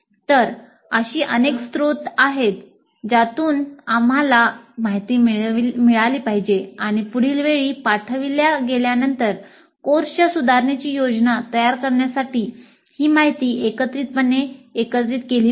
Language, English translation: Marathi, So there are multiple sources from which we should get information and this information is all pulled together to plan the improvements for the course the next time is delivered